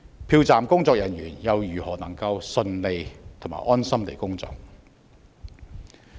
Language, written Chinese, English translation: Cantonese, 票站的工作人員又如何能夠順利和安心地工作？, How can polling officers feel at ease to carry out their work?